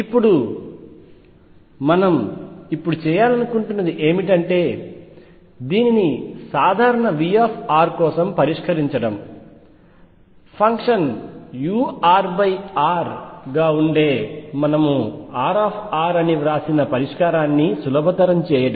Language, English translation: Telugu, Now, what we want to do now is solve this for a general v r, to facilitate the solution we had written R r as the function u r over r